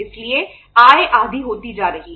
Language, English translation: Hindi, So income is is becoming half